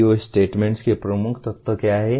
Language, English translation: Hindi, What are the key elements of PEO statements